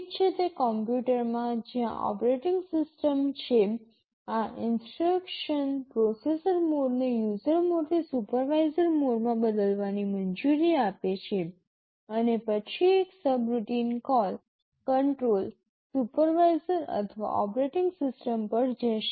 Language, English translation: Gujarati, Well in a computer where there is an operating system, these instructions allow the processor mode to be changed from user mode to supervisor mode and then just like a subroutine call control will jump to the supervisor or the operating system